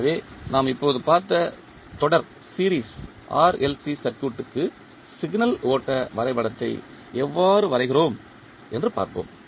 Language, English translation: Tamil, So, let us see how we draw the signal flow graph of the series RLC circuit we just saw